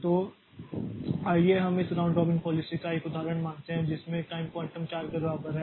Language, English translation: Hindi, So, let us consider an example of this round robin policy with time quantum equal to 4